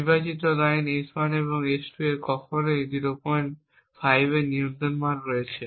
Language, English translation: Bengali, 25, the select lines S1 and S2 have still have a control value of 0